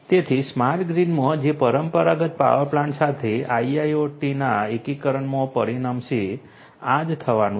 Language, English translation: Gujarati, So, in a smart grid which is going to result in through the integration of IIoT with the traditional power plant this is what is going to happen